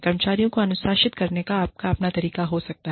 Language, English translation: Hindi, You can have your own way, of disciplining employees